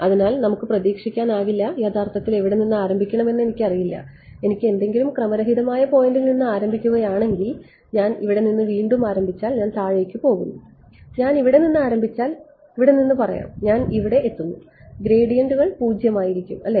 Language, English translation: Malayalam, So, there is no hope actually I I just do not know where to start from if I start from some random point if I start from here again I go down I if I start from let us say here and I reach over here gradients are 0 right ok